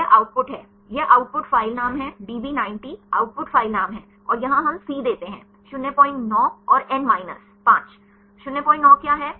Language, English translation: Hindi, This output; this is the output file name; db 90 is the output file name and here we give the c; 0